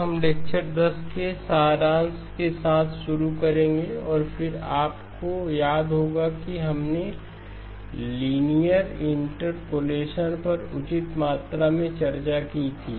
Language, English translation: Hindi, We will begin with the summary of lecture 10 and then as you recall we did fair amount of discussion on linear interpolation